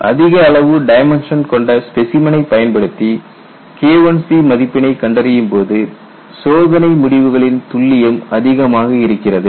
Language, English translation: Tamil, Sir if we uses specimen with large dimension to find K 1c, the accuracy of experimental results is high